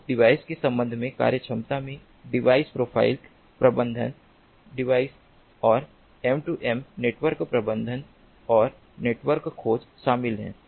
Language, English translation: Hindi, so functionalities with respect to device include the device profile management, device and m two m network management and device searching